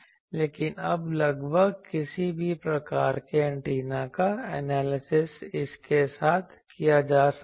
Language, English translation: Hindi, But now almost any type of antenna can be analyzed with this